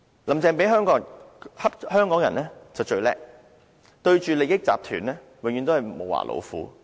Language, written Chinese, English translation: Cantonese, "林鄭"欺負香港人就最"叻"，對着利益集團永遠都是"無牙老虎"。, Carrie LAM is really good at bullying Hong Kong people . But she is a toothless tigress whenever she faces groups with vested interests